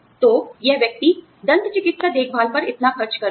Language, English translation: Hindi, So, this person is spending, so much on dental care